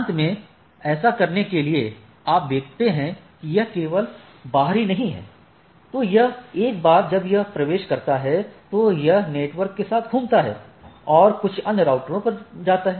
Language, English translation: Hindi, Finally, to make this happen, so if you see it is not only external right, it once it enters it go on hopping with the networks and go through some other router to the type of things right